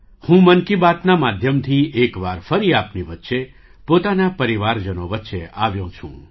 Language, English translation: Gujarati, And today, with ‘Mann Ki Baat’, I am again present amongst you